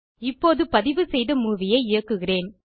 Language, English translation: Tamil, Let me now play the recorded movie